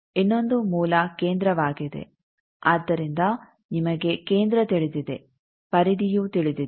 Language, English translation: Kannada, The other is origin the center, so you know center you know periphery